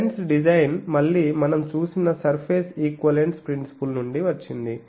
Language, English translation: Telugu, So, this lens design is again from the surface equivalence principle that we have seen